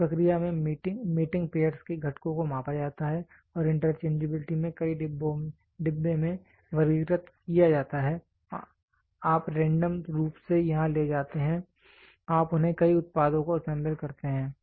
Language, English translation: Hindi, In this process components of mating pairs are measured and grouped into several bins in interchangeability you random pick here you group them several products is assembled